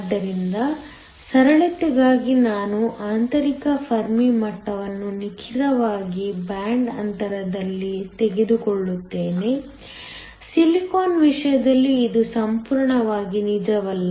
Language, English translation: Kannada, So, just for simplicity I will take the intrinsic Fermi level to be exactly at the band gap, in the case of silicon this not entirely true